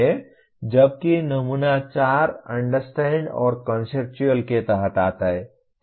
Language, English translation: Hindi, Whereas the sample 4 comes under Understand and Conceptual, okay